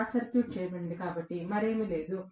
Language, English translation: Telugu, Short circuited, so I do not have anything else, Right